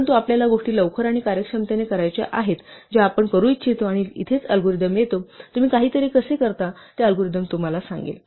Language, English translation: Marathi, But we want to do things quickly we want to do things the most with the efficient manner; and this is where the algorithm comes in, how you do something is what the algorithm will tell you